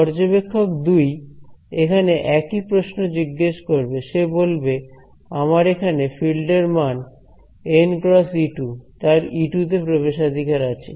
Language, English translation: Bengali, So, observer 2 asks the same question he says value of my field over here n cross E 2 E 2 he has access to